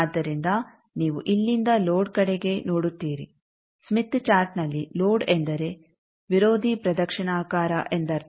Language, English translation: Kannada, So, that you look from here that towards load so which side in a smith chart towards load means anti clockwise